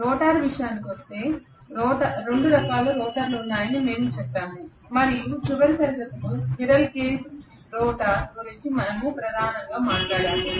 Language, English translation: Telugu, And as far as the rotor was concerned, we said there are two types of rotor we talked mainly about the squirrel cage rotor in the last class